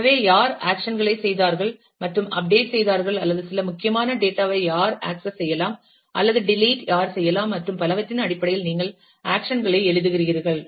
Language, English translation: Tamil, So, where you write down actions in terms of who carried out and update, or who access some sensitive data, or who did a delete and so on